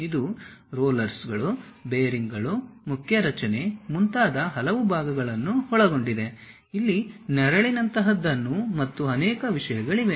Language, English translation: Kannada, It includes many parts like rollers, bearings, main structure, there is something like a shade and many things